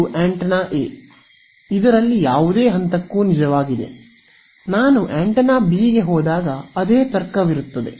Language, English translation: Kannada, Now, and this is true for any point on the antenna A, when I move to antenna B the same logic holds